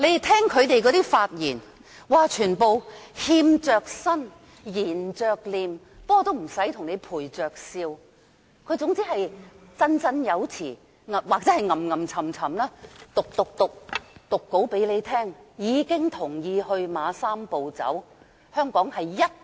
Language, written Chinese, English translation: Cantonese, 他們發言時全都欠着身，涎着臉，雖然不用陪着笑，但卻總是振振有詞或念念有詞地讀出講稿，同意"三步走"方案。, Although they did not need to put up a smiling face to please they all smiled subserviently with cap in hand when reading from their scripts in a most justified manner saying they approve of the Three - step Process proposal which is set to be put into implementation in Hong Kong